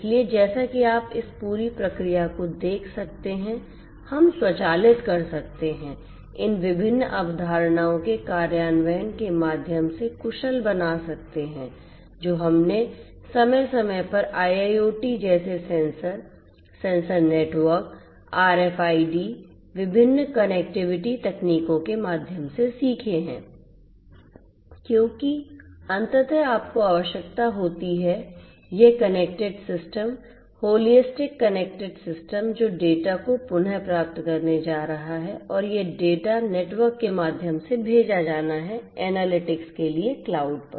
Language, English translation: Hindi, So, as you can see this entire process we can automate we can make efficient through the implementation of these different concepts that we have learnt over time through different lectures on IIoT such as sensor, sensor networks, RFIDs, different connectivity technologies because ultimately you need to have this connected system holistic connected system which is going to retrieve the data and this data is has to be sent through the network, to the cloud for analytics right